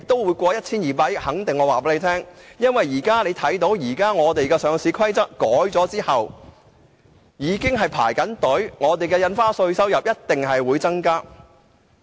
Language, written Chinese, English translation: Cantonese, 我可以肯定地告訴他，因為我留意到《上市規則》修訂後，很多公司已在輪候，有關稅收一定會有所增加。, I can tell him confidently because as I have noticed many companies are waiting in the queue after the amendment of the Listing Rules . So the relevant tax revenue will definitely increase